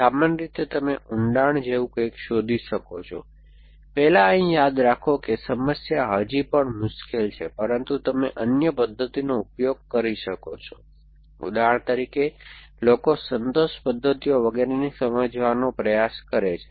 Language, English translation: Gujarati, So, typically you could do something like depths first here remember that the problem is still in hard, but you could use other method, so for example people have try to understand satisfaction methods and so on